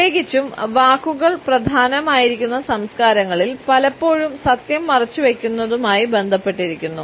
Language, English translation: Malayalam, Particularly in those cultures where words are important silence is often related with the concealment of truth passing on a fib